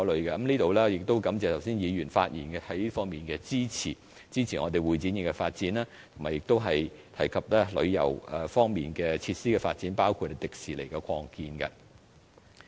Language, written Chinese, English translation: Cantonese, 在此我感謝議員剛才發言支持會展業的發展，以及提及旅遊方面設施的發展，包括香港迪士尼樂園的擴建。, I would like to take this opportunity to thank Members for speaking in support of developing the CE industry just now and for mentioning the development of tourism facilities including the expansion of the Hong Kong Disneyland